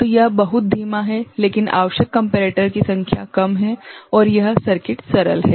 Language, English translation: Hindi, So, it is much slower, but number of comparator requirement is less and this circuit is simpler ok